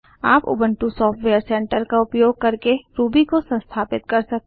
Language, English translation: Hindi, You can install Ruby using the Ubuntu Software Centre